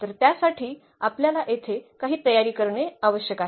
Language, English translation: Marathi, So, for that we just need some preparations here